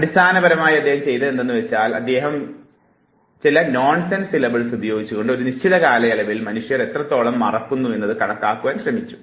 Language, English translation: Malayalam, And he basically what he did was he again use the nonsense syllables tried to see how much people forget over a period of time